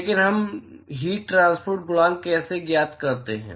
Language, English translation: Hindi, But how do we find heat transport coefficient